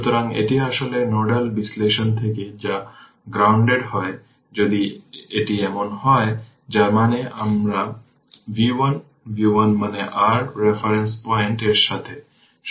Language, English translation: Bengali, So, this is actually from nodal analysis this is grounded right if it is so that means, my v 1, v 1 means with respect to the your reference point